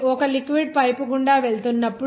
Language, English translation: Telugu, When a liquid is going through a pipe